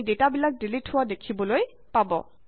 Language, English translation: Assamese, You see that the data gets deleted